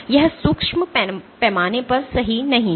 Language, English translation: Hindi, This is not true at the micro at the micro scale